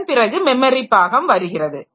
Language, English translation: Tamil, Then memory management